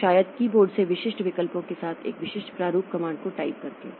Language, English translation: Hindi, So, maybe from keyboard we type some some comments in a specific format with specific options